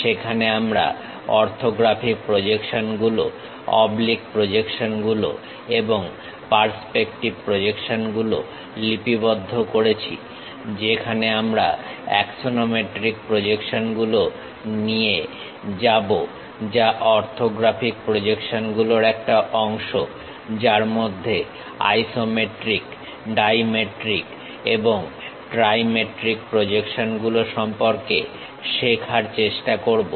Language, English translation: Bengali, In that we noted down orthographic projections, oblique projections and perspective projections where we in detail went with axonometric projections which are part of orthographic projections; in that try to learn about isometric projections, dimetric and trimetric